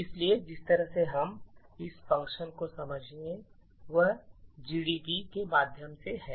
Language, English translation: Hindi, So, the way we will understand this function is through GDB